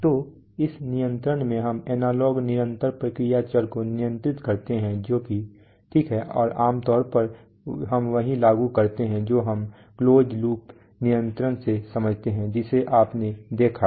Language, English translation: Hindi, So this control we control analog continuous process variables that is fine and typically we apply what is, what we understand by closed loop control which you have seen